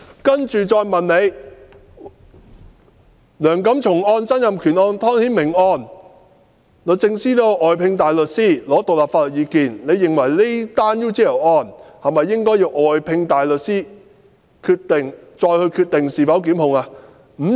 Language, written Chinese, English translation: Cantonese, 接着再問的是："梁錦松案、曾蔭權案、湯顯明案，律政司均曾外聘大律師，索取獨立意見，認為這宗 UGL 案應否外聘大律師，再決定是否檢控呢？, Following that respondents were further asked whether they thought DoJ should have engaged outside counsel for this UGL case before deciding whether to institute prosecution as it had sought independent legal advice from outside counsel for the cases of Antony LEUNG Donald TSANG and Timothy TONG